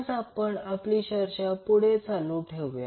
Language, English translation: Marathi, So we will just continue our discussion